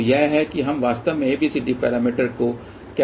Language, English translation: Hindi, So, this is how we can actually define ABCD parameters